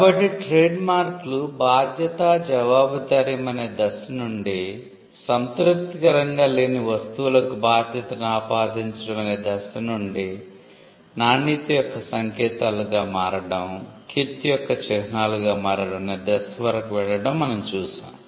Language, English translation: Telugu, So, you have seen trademarks go from liability and we have seen trademarks go from attributing liability to unsatisfactory goods to becoming signals of quality then, becoming symbols of reputation